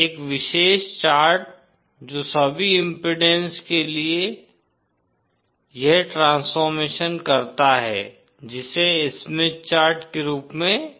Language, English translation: Hindi, A special chart which does this transformation for all impedances is what is known as a Smith chart